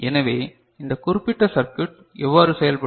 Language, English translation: Tamil, So, this particular circuit just like this